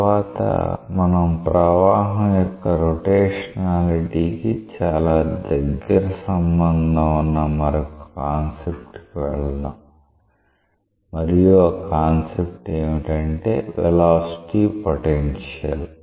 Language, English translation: Telugu, Next, we will go to concept that is very much related to the rotationality the flow again and that concept is given by the name of velocity potential